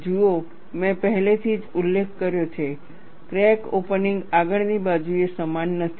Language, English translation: Gujarati, See, I have already mentioned, the crack opening is not uniform along the front